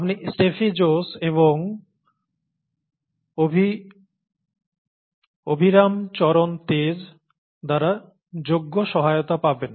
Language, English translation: Bengali, You will be ably helped by Steffi Jose and Abhiram Charan Tej